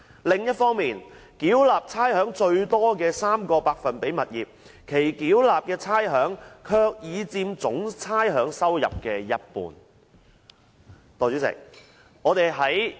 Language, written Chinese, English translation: Cantonese, 另一方面，繳納差餉最多的 3% 物業，其繳納的差餉卻已佔總差餉收入的一半。, On the other hand the rates paid by the owners of 3 % of properties who had been the top ratepayers had accounted for half of the total rates revenue